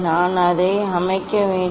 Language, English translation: Tamil, I have to set it